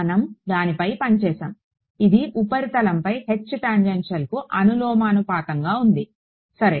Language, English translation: Telugu, We had worked it out; it was proportional to the H tangential on the surface ok